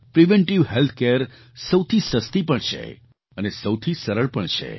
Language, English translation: Gujarati, Preventive health care is the least costly and the easiest one as well